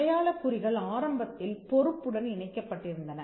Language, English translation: Tamil, Marks initially used to be tied to liability